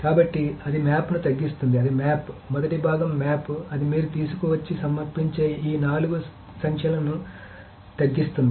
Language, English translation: Telugu, So then so it reduces the map that is the first part is a map then it reduces to these four numbers that you bring it in and sum it up